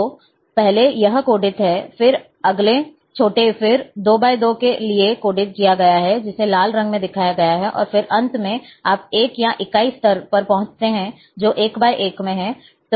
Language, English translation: Hindi, So, first this is coded, then next smaller, then,for 2 by 2 is coded, which is shown in red colour, and then finally, you reach to the 1, or unit level, that is 1 by 1